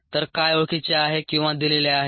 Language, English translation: Marathi, so what is known or given